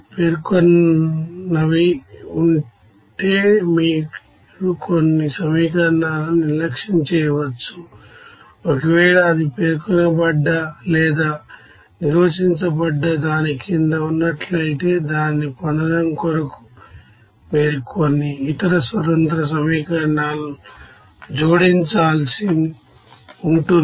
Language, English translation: Telugu, So if there are over specified you can neglect some equation, if it is under specified or under defined then you have to add some other independent equations to get it is unique solution